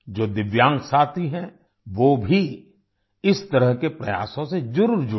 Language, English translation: Hindi, Divyang friends must also join such endeavours